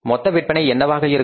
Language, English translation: Tamil, So, what are going to be total sales